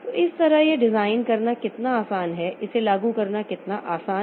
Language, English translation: Hindi, So, that way how easy it is to design, how easy it is to implement